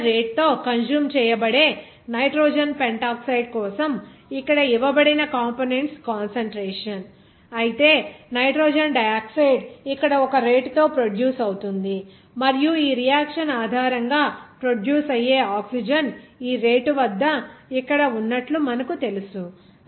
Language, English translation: Telugu, This concentration of the components given here for nitrogen pentoxide that is consumed at the rate given here, whereas nitrogen dioxide it is produced at a rate here and also you know that oxygen that is produced based on this reaction as here at this rate, this rate is mole per liter it is expressed